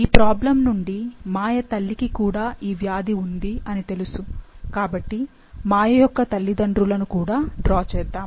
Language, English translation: Telugu, As we know from the problem that her mother also has the disease, so let's draw her parents